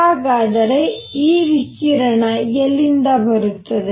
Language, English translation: Kannada, Where does this radiation come from